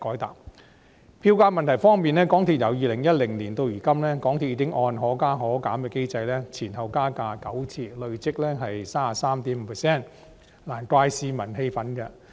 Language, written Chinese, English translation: Cantonese, 在票價問題方面，由2010年至今，港鐵公司已按"可加可減"機制調升票價9次，累積升幅 33.5%， 難怪市民感到氣憤。, On the problem of fares since 2010 MTRCL has already raised the fares nine times in accordance with the Fare Adjustment Mechanism FAM which allows both upward and downward adjustments . The accumulated increase is 33.5 % . No wonder members of the public feel infuriated